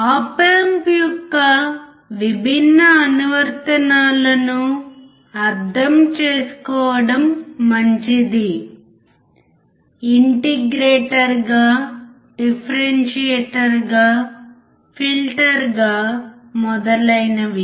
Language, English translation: Telugu, It is good to understand different applications of op amp: as an integrator, as a differentiator, as a filter, etc